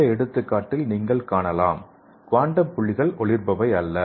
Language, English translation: Tamil, So in this example you can see the difference between the quantum dot and organic dye